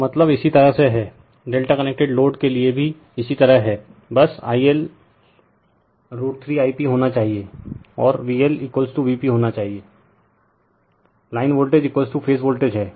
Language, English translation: Hindi, So, similar way that means, similar way for delta connected load also, just I L should be your root 3 I p and V L should be is equal to V p, line voltage is equal to phase voltage